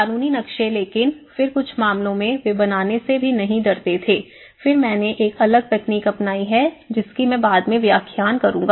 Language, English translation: Hindi, Legible maps but then in some cases they were not even afraid even to draw and then I have adopted a different techniques which I will explain later